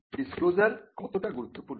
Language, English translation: Bengali, How important is the disclosure